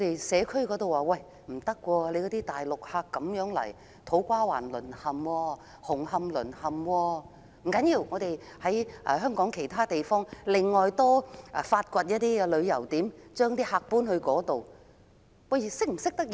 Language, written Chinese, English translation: Cantonese, 社區方面，大量的內地遊客令土瓜灣、紅磡淪陷，政府竟提出在香港發掘其他旅遊點，把遊客轉移至其他地區。, At district level the large number of Mainland visitors has caused havoc in To Kwa Wan and Hung Hom . The Government has however proposed to divert visitors to other districts by exploring new tourist spots